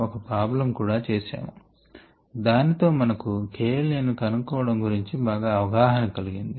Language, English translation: Telugu, we also worked out a problem by which we got a better appreciation of the k